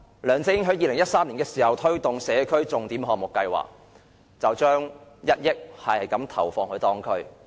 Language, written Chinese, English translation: Cantonese, 梁振英在2013年推行社區重點項目計劃，每區投放1億元。, When CY LEUNG promoted the Signature Project Scheme he injected 100 million into each district